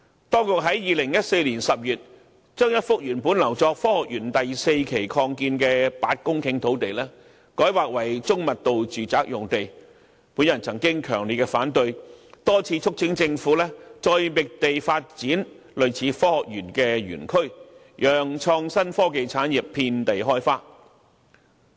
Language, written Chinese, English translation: Cantonese, 當局在2014年10月將一幅原本留作科學園第四期擴建用途的8公頃土地改劃為中密度住宅用地，我曾表示強烈反對，多次促請政府再覓地發展類似科學園的園區，讓創新科技產業遍地開花。, I have strongly opposed the Governments decision to rezone an 8 - hectare plot originally reserved for the Phase 4 Development of the Science Park for medium - density residential development in October 2014 and have repeatedly urged the Government to identify other sites for development of facilities similar to the Science Park so that innovation and technology industry would blossom